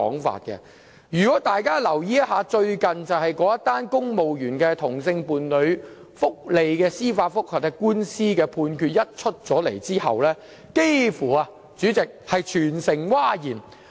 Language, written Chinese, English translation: Cantonese, 大家如有留意最近那宗涉及公務員同性伴侶福利的司法覆核案件，便知道判詞一出，幾乎全城譁然。, If Members have been mindful of the recent judicial review case involving the benefits of same - sex partners of civil servants they would have noticed that the Judgment has provoked a massive outcry nearly across the territory